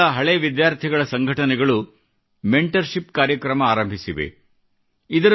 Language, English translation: Kannada, The old student associations of certain schools have started mentorship programmes